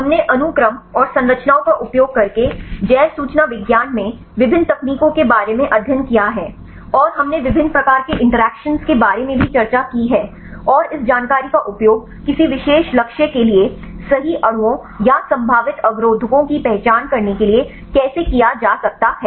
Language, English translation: Hindi, We have studied about various techniques in bioinformatics using sequences and the structures, and also we discussed about various types of interactions and how this information can be used to identify the lead molecules or the probable inhibitors right for any specific targets